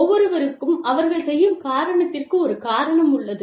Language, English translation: Tamil, Everybody has a reason to do, whatever they are doing